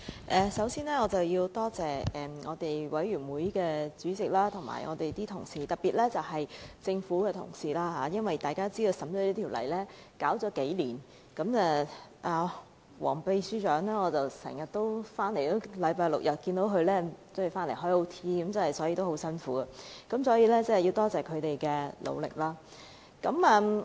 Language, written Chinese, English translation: Cantonese, 主席，首先我要多謝法案委員會主席及各位同事，特別是政府的同事，大家都知道《私營骨灰安置所條例草案》的審議已經歷數載，我經常看到首席助理秘書長黃淑嫻星期六、日都加班，非常辛苦，我要多謝他們的努力。, President first of all I have to thank the Chairman and other Honourable colleagues of the Bills Committee on Private Columbaria Bill the Bill especially government officials . We have scrutinized the Bill for several years and I am aware that Principal Assistant Secretary Miss WONG always works overtime on Saturdays and Sundays . It is very hard work and I must thank them for all their efforts